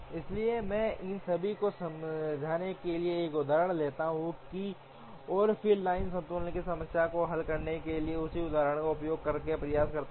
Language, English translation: Hindi, So, let me take an example to explain all these, and then try and use the same example to solve the line balancing problem